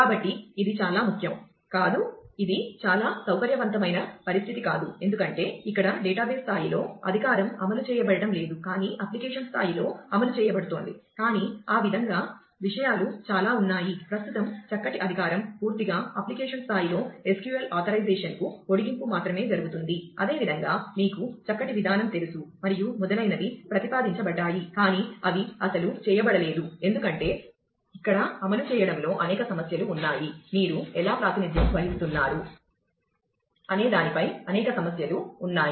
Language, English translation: Telugu, So, this is no not a not a very sound this is not a very comfortable situation because, here the authorization is not being implemented in the database level, but is being implemented at the application level, but that is way things a because, most of the fine grained authorization currently, is done entirely in the application level only a extension to SQL authorization, at for similar you know fine graining and so on has been proposed, but they have not been implemented because, there are several issues of implementing where there several issues of how do you represent